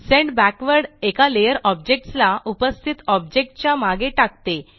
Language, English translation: Marathi, Send Backward sends an object one layer behind the present one